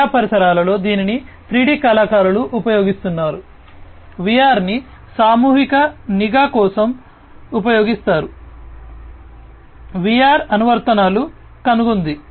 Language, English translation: Telugu, In educational environments it is used by 3D artists, VR are used for mass surveillance also you know VR has found applications